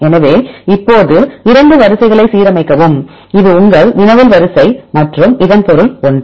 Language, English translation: Tamil, So, now, align the 2 sequences, this your query sequence and this is a subject one